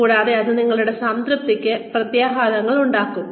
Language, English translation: Malayalam, And, that can have implications for your satisfaction